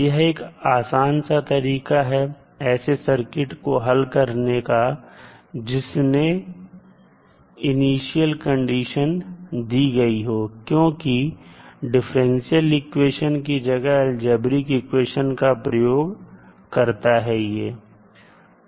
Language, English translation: Hindi, So it provides an easy way to solve the circuit problems involving initial conditions, because it allows us to work with algebraic equations instead of differential equations